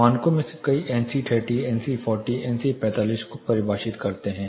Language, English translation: Hindi, Many of the standards define saying NC30, NC40, NC45